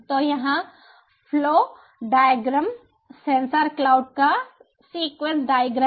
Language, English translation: Hindi, so here is the flow diagram, the sequence diagram of sensor cloud